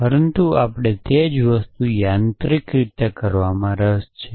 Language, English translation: Gujarati, But we have also the same time interested in doing it in a mechanical way